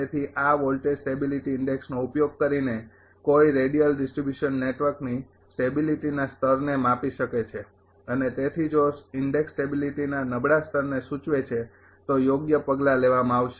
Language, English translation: Gujarati, So, by using this voltage stability index one can measure the level of stability of radial distribution networks and thereby appropriate action may be taken if the index indicates a poor level of stability